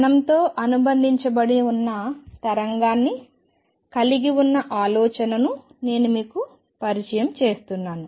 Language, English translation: Telugu, So, I am introduced you to the idea of particle having a wave associated with it